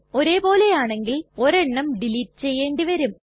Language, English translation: Malayalam, If they are same then we may delete one of them